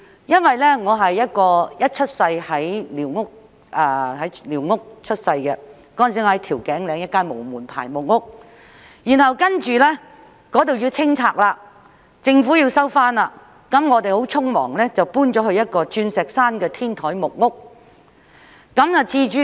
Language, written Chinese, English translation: Cantonese, 因為我是在寮屋出生的，當時居於調景嶺一間無門牌的木屋，然後那裏因政府要收回而要清拆，我們便很匆忙地遷到一間在鑽石山的天台木屋。, I was born in a squatter . At that time I lived in a wooden squatter without a building number in Tiu Keng Leng . The squatter was later demolished by the Government for the resumption of land so we hastily moved to a rooftop wooden squatter in Diamond Hill